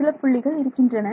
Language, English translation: Tamil, But any other points